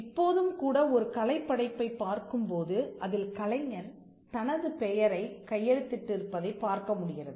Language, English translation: Tamil, Even now, if you look at a work of art, there is a tendency for the artist to sign his or her name in the piece of art